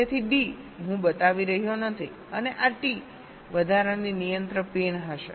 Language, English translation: Gujarati, so d i am not showing, and this t will be the extra additional control pin